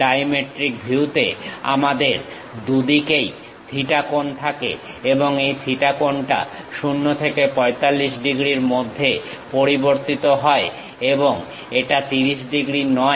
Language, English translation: Bengali, In the dimetric view we have theta angle on both sides and this theta angle varies in between 0 to 45 degrees and this is not 30 degrees